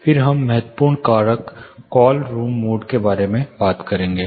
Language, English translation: Hindi, Then we will talk about an important factor call room modes